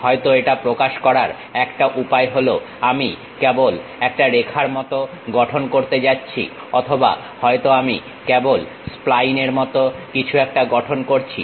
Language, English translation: Bengali, One way of representing this one is maybe, I will be just going to construct like a line or perhaps, I just construct something like a spline